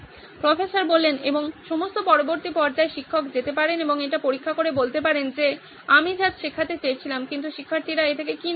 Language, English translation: Bengali, And probably at a later stage, the teacher can go and check it out saying this is what I wanted to teach but what have students taken from this